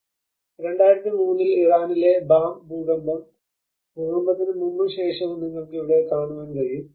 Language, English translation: Malayalam, Similarly in 2003, Bam earthquake in Iran what you can see here is, before and after the earthquake